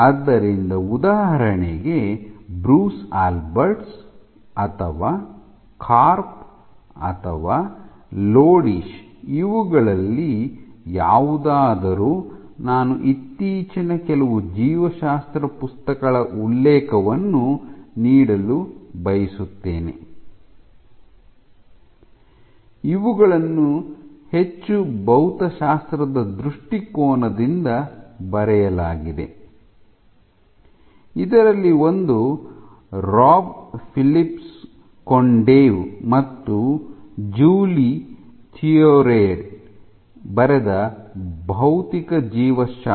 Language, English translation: Kannada, So, for example, Bruce Alberts, or Karp, or Lodish any of these, I would also like to give the reference of some of the more recent biology books which have been written one of from a more physics point of view, one of this is Physical Biology of the Cell by Rob Philips Kondev and Julie Theriot